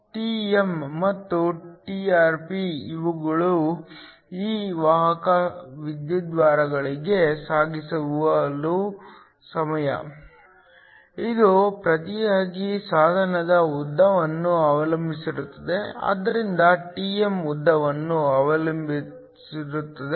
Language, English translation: Kannada, Trn and Trp they are the transit time for these carriers to the electrodes, this in turn depends upon the length of the device, so Trn is depending upon the length